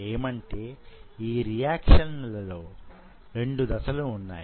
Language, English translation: Telugu, So there are two processes